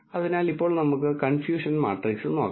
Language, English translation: Malayalam, So, now let us look at the confusion matrix